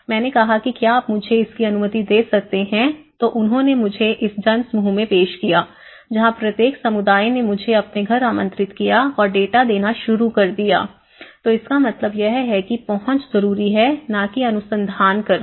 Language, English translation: Hindi, I said can you please allow me so then he introduced me in the mass that is where, then onwards every community, every household is inviting me and they have started giving the data and so which means the idea is to approach to not to do a research